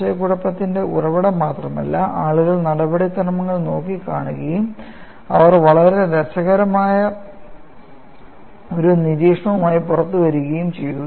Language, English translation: Malayalam, This is the source of confusion; not only the source of confusion, but the source by which people looked at the procedure, and they came out with a very interesting observation